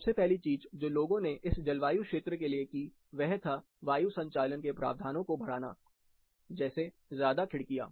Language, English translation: Hindi, The first thing, people did in this particular climate, is improve the provision for ventilation, more windows